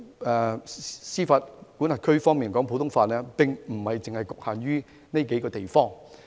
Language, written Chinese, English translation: Cantonese, 其實，普通法的司法管轄區並不只局限於上述數個地方。, In fact common law jurisdictions are not limited to the above mentioned countries